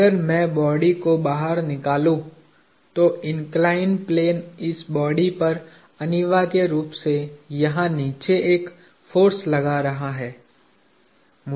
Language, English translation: Hindi, If I take the body out, what the inclined plane was doing to this body is essentially exerting a force underneath here